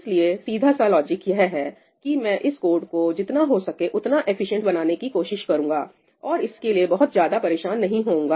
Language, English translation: Hindi, So, simple logic that I would try to make this code as efficient as possible and not bother too much about this